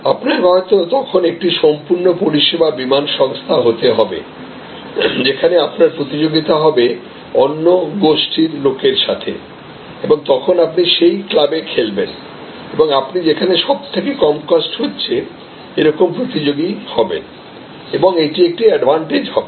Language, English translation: Bengali, You then may need to become a full service airlines, where your competition will be a different set of people and may be then you will be playing in this club and they are actually therefore, you will become the lowest cost competitor and that will be an advantage